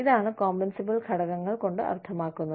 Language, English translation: Malayalam, This is, what is meant by, compensable factors